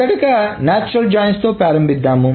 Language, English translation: Telugu, So let us first start off with natural joints